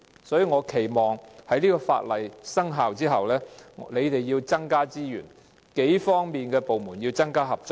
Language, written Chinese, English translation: Cantonese, 所以，我期望當局在法例生效後增加資源，數個部門亦要加強合作。, For this reason I hope the authorities will inject additional resources and enhance the cooperation among various departments upon commencement of the legislation